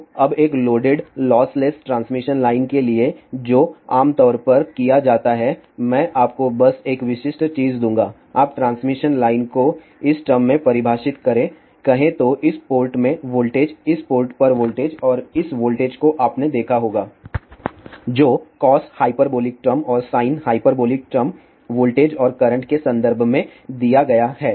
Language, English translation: Hindi, So, now, for a loaded lossless transmission line what is generally done I will just give you a typical thing you defined a transmission line in terms of let us say voltage at this port, voltage at this port and that voltage you might have seen that is given in terms of cos hyperbolic term and sin hyperbolic terms in terms of voltages and current